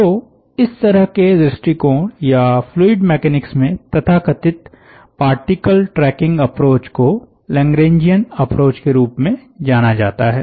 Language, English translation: Hindi, so this kind of approach, or so called particles tracking, an approach in mechanics is known as lagrangian approach in fluid mechanics